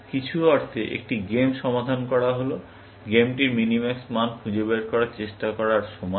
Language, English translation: Bengali, In some sense, solving a game amounts to trying to find the minimax value of the game